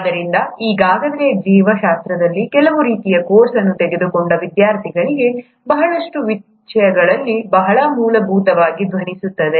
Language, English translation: Kannada, So for those students who have already taken some sort of a course in biology, a lot of things will sound very fundamental